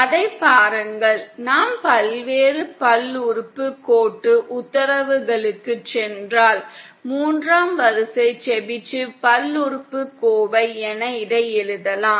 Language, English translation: Tamil, See that, if we go by the various polynomial orders the third order Chebyshev polynomial can be written like this